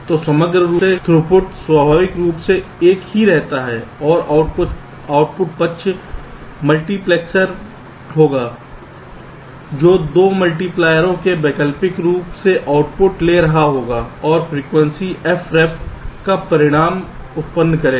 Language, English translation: Hindi, so overall throughput naturally remains the same and there will be a multiplexor, the output side, that will be taking the output alternately from the two multipliers and will be generating the results at frequency f ref